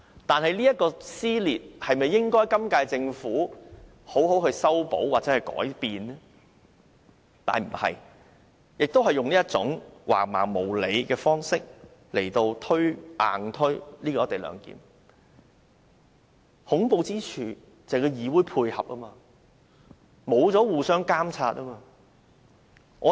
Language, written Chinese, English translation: Cantonese, 但是，政府沒有這樣做，仍然用一種橫蠻無理的方式硬推"一地兩檢"，而恐怖之處在於部分議員予以配合，令議會失去了監察的作用。, However instead of doing so the Government is still using a barbaric way to bulldoze this co - location arrangement through the legislature . And the terrifying part is certain Members cooperation under which the Council has lost its function of monitoring the Government